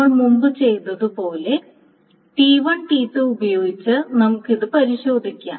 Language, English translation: Malayalam, So let us test it with T1, T2